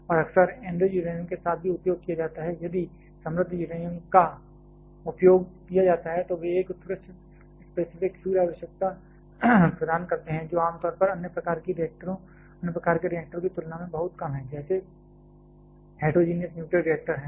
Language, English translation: Hindi, And quite frequently there also used with enriched uranium and if there used enriched uranium they provide an excellent specific fuel requirement which is generally very low compared to other kind of reactors that is heterogeneous nuclear reactors